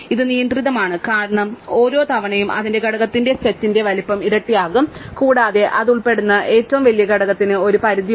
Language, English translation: Malayalam, It is restricted because each time it moves the size size of its component doubles, and there is a limit on the largest component it will belong